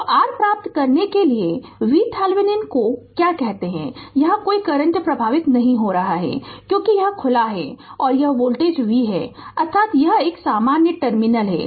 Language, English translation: Hindi, So, we first we have to obtain your what you call V Thevenin right and no current is flowing here because this is open, and this voltage is V means this is a common terminal